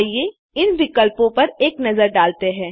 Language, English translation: Hindi, Let us have a look at these options